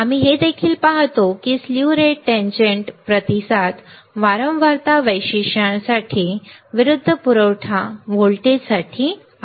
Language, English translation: Marathi, We also see there is a slew rate tangent response for frequency characteristics for the versus supply voltage